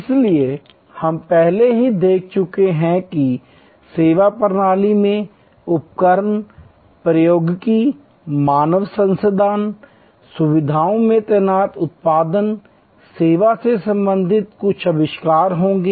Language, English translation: Hindi, So, we have already seen before that service systems will have equipment, technology, human resources, deployed in facilities, there will be some inventories related to product service